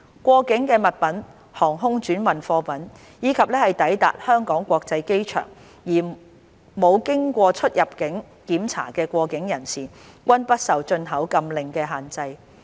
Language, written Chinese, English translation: Cantonese, 過境物品、航空轉運貨物，以及抵達香港國際機場而沒有經過出入境檢查的過境人士，均不受進口禁令的限制。, Articles in transit air transhipment cargoes and persons in transit who arrive at the Hong Kong International Airport and have not passed through immigration control shall be exempted from the import ban